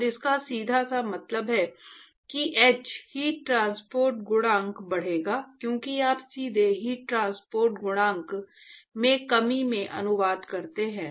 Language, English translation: Hindi, And that simply means that, the h, the heat transport coefficient would actually increase as you directly translates into the reduction in the heat transport coefficient